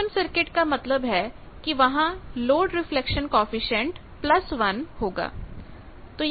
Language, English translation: Hindi, Open circuit means load reflection coefficient plus 1